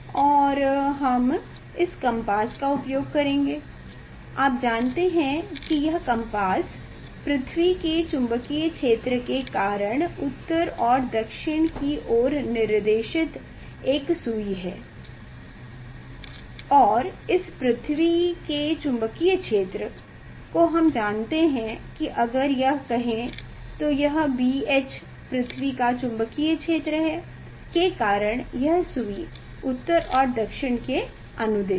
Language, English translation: Hindi, Now, we will use permanent magnet to magnet bar magnet we will use and we will use this compass you know this compass it is a needle directed towards the north and south due to the earth magnetic field and that earth magnetic field we know that is that if say it is B H earth magnetic field due to this needle was this along the north and south